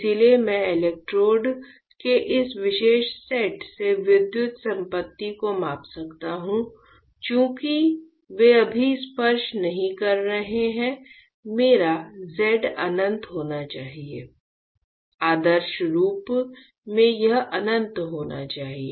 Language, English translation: Hindi, So, I can measure my electrical property from this particular set of electrodes; since they are not touching right now my Z should be infinite right; in ideally it should be infinite